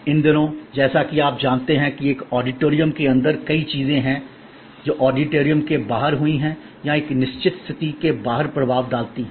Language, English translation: Hindi, These days as you know, there are many instances of things that have happened inside an auditorium or influence outside the auditorium a certain situation